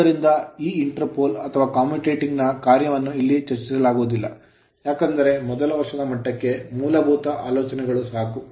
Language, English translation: Kannada, So, function of this your inter pole called commutating pole etcetera I am not discussing here, because this first year level just some ideas right